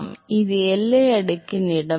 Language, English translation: Tamil, So, this is the location of the boundary layer